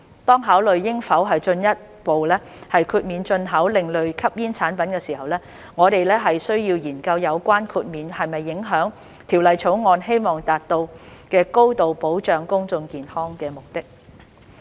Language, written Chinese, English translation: Cantonese, 當考慮應否進一步豁免進口另類吸煙產品時，我們須研究有關的豁免會否影響《條例草案》希望達到高度保障公眾健康的目的。, When considering whether to provide further exemption to the import of ASPs we need to examine whether such relaxation will undermine the high level of protection to public health as intended by the Bill